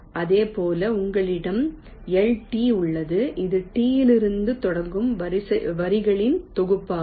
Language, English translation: Tamil, similarly, you have l t, which is the set of lines starting from t